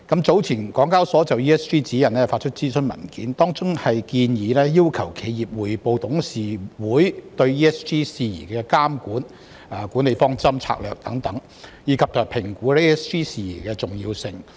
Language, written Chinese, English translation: Cantonese, 聯交所早前就《ESG 報告指引》發出諮詢文件，當中建議要求企業匯報董事會對 ESG 事宜的監管、管理方針和策略等，以及評估 ESG 事宜的重要性。, SEHK issued a consultation document on ESG Reporting Guide some time ago recommending that enterprises should be required to report on the supervision management approach and strategy etc . of their board of directors in respect of ESG matters as well as conducting an evaluation of the importance of ESG issues